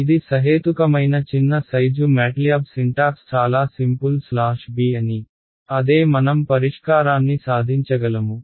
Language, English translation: Telugu, This works in you know sort of reasonably small size problems the MATLAB syntax is very simple a slash b right that is what we achieve a solution